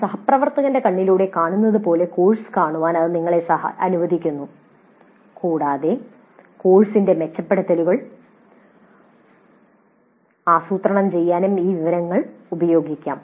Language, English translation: Malayalam, This allows us to see the course as seen through the IFA colleague and this information can also be used to plan the improvements for the course